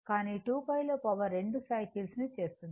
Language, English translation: Telugu, But in 2 pi, power will make 2 cycles